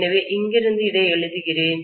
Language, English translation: Tamil, So from here, I am writing this